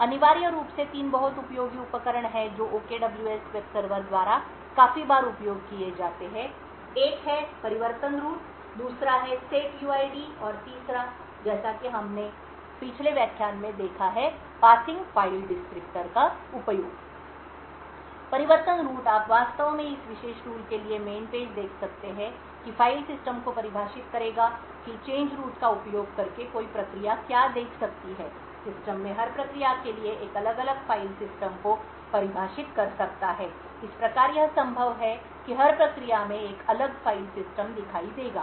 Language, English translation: Hindi, Essentially there are three very useful tools that is used quite often by the OKWS web server, so one is the change root, the second is the setuid and the third as we have seen in our previous lecture is the use of passing file descriptors, the change root you can actually look up the man pages for this particular tool would define the file system for what a process can see by using the change root one can define a different file system for every process in the system thus what is possible by this is that every process would see a different file system